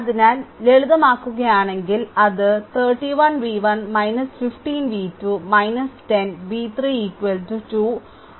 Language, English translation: Malayalam, So, if you simplify it will become 31 v 1 minus 15 v 2 minus 10 v 3 is equal to 2 40